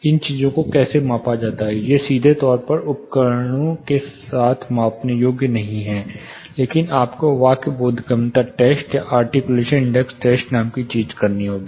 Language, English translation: Hindi, However these things measured, this are the directly measurable with instruments, but you have to conduct something called speech intelligibility test or articulation tests